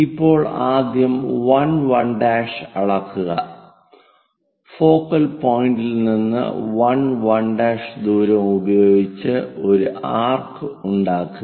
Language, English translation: Malayalam, So, first, measure 1 1 dash, and from focal point use, a distance of 1 1 dash make an arc